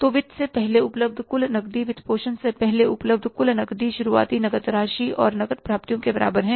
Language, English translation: Hindi, So, total cash available before financing, total cash available before financing is equal to beginning cash balance plus cash receipts